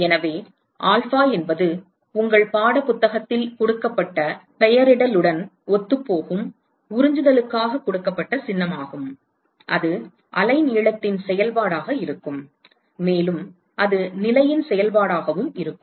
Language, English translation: Tamil, So, so alpha is the symbol which is given for absorptivity which is in in line with the nomenclature given in your textbook, that is going to be a function of the wavelength, and that is going to be a function of the position as well